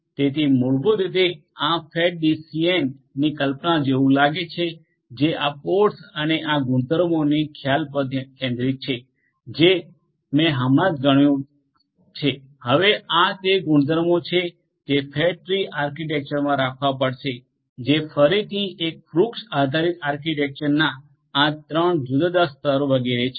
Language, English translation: Gujarati, So, this is basically how the concept of the fat tree DCN looks like it is centred on the concept of this pods and these properties that I just enumerated just now these are the properties that will have to be held for a fat tree architecture which is again a tree based architecture having these three different tiers etcetera